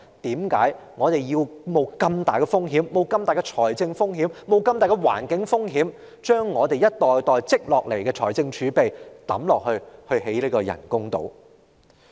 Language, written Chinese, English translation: Cantonese, 為何我們要冒這樣大的風險、冒這樣大的財政風險、冒這樣大的環境風險，將我們一代代積累下來的儲備投入興建人工島呢？, She has failed to convince the people of Hong Kong that we have to take such a great risk . Why do we have to take the financial risk and environmental risk of such magnitude by dumping the reserve accumulated over generations into the construction of artificial islands?